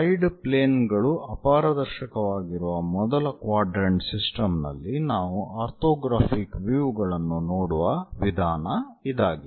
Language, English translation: Kannada, These are the ways we look at orthographic views in first quadrant system where the side planes are opaque